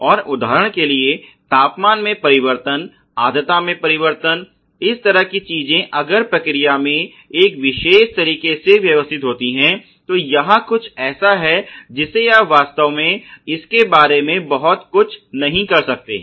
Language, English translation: Hindi, And for example, change in temperature, change in humidity, these kind of things if the process is setup in a particular manner it something that you cannot really do much about it